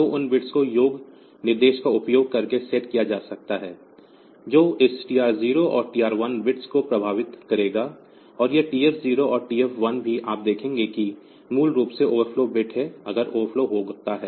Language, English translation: Hindi, So, those bits can be use those bits can be set by using this this by using sum instruction that will affect this TR 0 and TR 1 bits, and this this TF 0 and TF 1 also you have seen that is basically the overflow, in when the overflow occurs then this TF 0 and TF 1 will be set